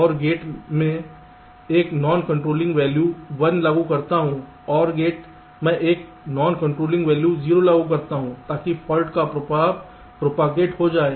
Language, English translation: Hindi, and gate i apply a non controlling value of one, or gate i apply a non controlling value of zero so that the fault effect gets propagated